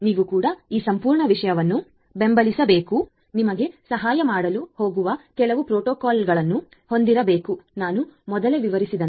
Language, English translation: Kannada, You also have to support this entire stuff you have to have some protocol which is going to help you to do whatever I just explained earlier